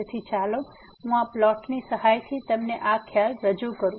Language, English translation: Gujarati, So, let me just explain you this concept with the help of this plot here